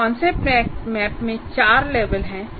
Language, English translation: Hindi, So a concept map can have several layers